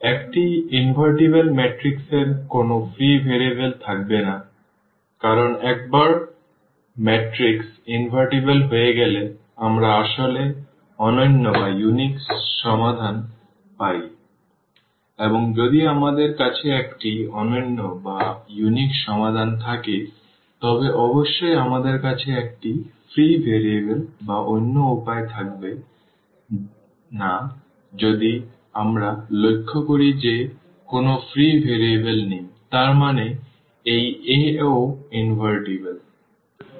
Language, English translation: Bengali, An invertible matrix will have no free variable the reason is clear because once the matrix invertible we get actually unique solution and if we have a unique solution definitely we will not have a free variables or other way around if we observe that there is no free variable; that means, this A is also invertible